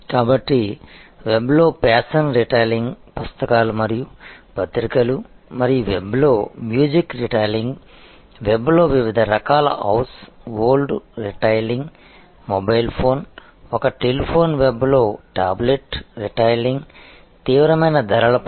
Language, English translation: Telugu, So, fashion retailing on the web a books and periodicals and music retailing on the web, different types of house old stuff retailing on the web, mobile phone, a telephone, tablet retailing on the web, intense price competition